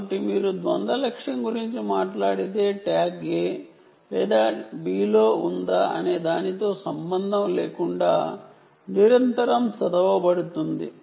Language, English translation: Telugu, so if you talk about dual target, if you talk about dual target, the tag will be read continuously regarding, regardless of whether it is in a or b